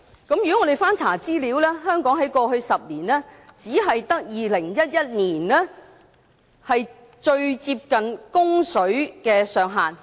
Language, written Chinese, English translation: Cantonese, 我們翻查資料，香港在過去10年，只有2011年最接近供水的上限。, After digging into some information we find that over the past decade only in 2011 did Hong Kong consume an amount of water which was closest to the supply ceiling